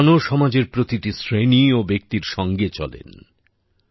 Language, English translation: Bengali, God also walks along with every section and person of the society